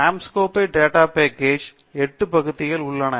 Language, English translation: Tamil, Anscombe data set has 8 columns